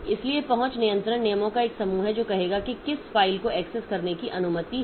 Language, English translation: Hindi, So, access control is a set of rules that will say like who is allowed to access which file